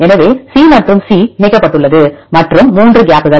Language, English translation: Tamil, So, C and C connected and 3 gaps